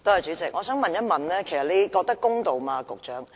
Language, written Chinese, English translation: Cantonese, 主席，我想問一問局長你覺得公道嗎？, President may I ask the Secretary if he finds this fair at all?